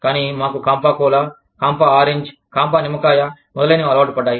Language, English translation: Telugu, But, we were used to, Campa Cola, Campa Orange, Campa Lemon, etcetera